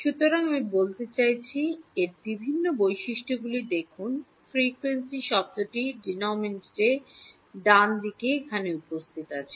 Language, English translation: Bengali, So, I mean look at the various features of it what is the frequency term is appearing here in the denominator right